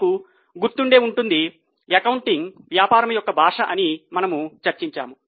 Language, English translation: Telugu, If you remember, we discuss that accounting is a language of business